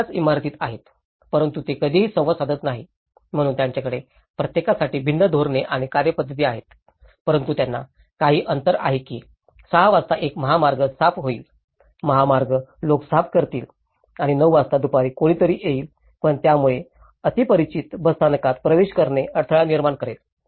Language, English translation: Marathi, So, these 3 are situated in the same building but they never interact, so they have different policies and procedures for each of them but they have some gaps in that 6 o'clock one highway will clean, highway people, will clean and at 9 o'clock someone else will come but it will cause the barrier for the neighbourhoods to come into the bus stop